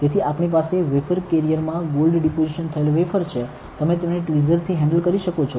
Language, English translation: Gujarati, So, we have the wafer deposited with gold in the wafer carrier, you can handle it with the tweezer